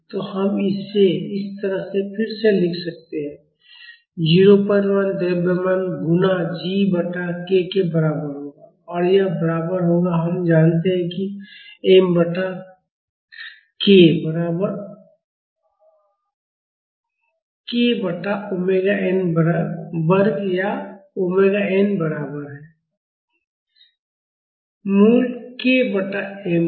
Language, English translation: Hindi, 1 mass multiplied by g divided by k and that would be equal to we know m by k is equal to 1 by omega n square or omega n is equal to root of k by m